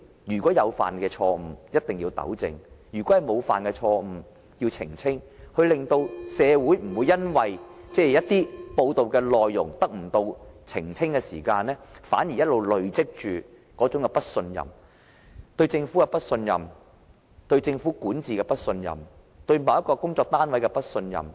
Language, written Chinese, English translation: Cantonese, 如果箇中有錯，一定要糾正，如果沒有錯，便要澄清，令社會不會因為一些報道內容得不到澄清，而累積不信任：對政府的不信任、對政治管治的不信任、對某個單位的不信任。, The Government must rectify whatever mistakes it has made and clarify misunderstandings if no mistake is found in the process such that the community is prevented from bottling up distrust just because content of certain reports has not been clarified the distrust of the Government of the political governance or of a certain unit